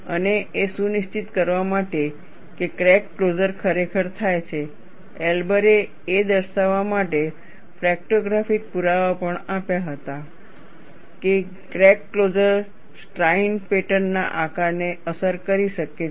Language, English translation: Gujarati, And, in order to ensure that crack closure indeed happens, Elber also provided fractographic evidence to show, that crack closure could affect the shape of the striation pattern